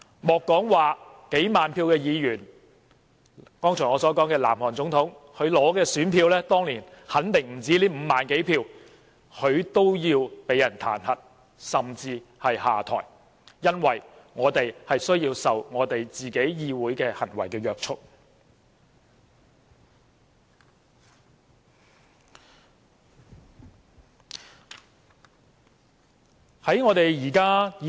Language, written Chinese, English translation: Cantonese, 莫說是得到數萬張選票的議員，我剛才舉例提到的南韓總統，她當年得到的選票肯定不止5萬多票，但她也要遭受彈劾，甚至是下台，因為由人民選出的代表的行為需要受到約束。, Let alone Members who have received tens of thousands of votes the South Korean President whom I have just mentioned certainly received more than 50 000 votes in the year she was elected . But even she has to face impeachment and is asked to step down because the behaviour of representatives elected by people are subject to restraint